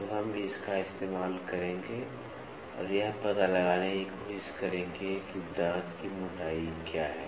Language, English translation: Hindi, So, we will use that and try to figure out, what is the tooth thickness